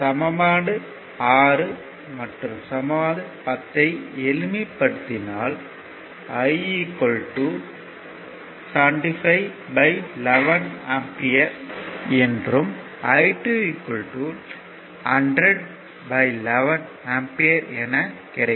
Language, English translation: Tamil, It is simple thing so, just solving 2 linear linear equations, you will get i is equal to 75 by 11 ampere, and i 2 you will get 10 upon ah sorry 100 upon 11 ampere